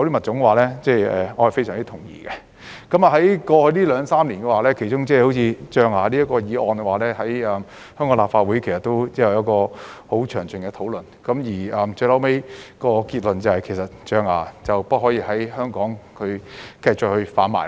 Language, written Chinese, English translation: Cantonese, 在過去兩三年，象牙這個議題在香港立法會其實已有十分詳盡的討論，最後得出的結論是象牙不可繼續在香港販賣。, In the past two or three years elephant ivory was an issue discussed at length in the Legislative Council of Hong Kong . In the end we came to the conclusion that the ivory trade should no longer be allowed in Hong Kong